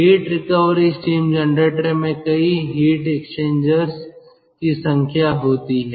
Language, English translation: Hindi, heat recovery steam generator contains number of heat exchangers